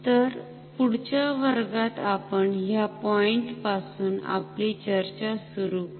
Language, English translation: Marathi, So, in our next class we will start our discussion from this point